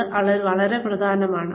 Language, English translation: Malayalam, That is very important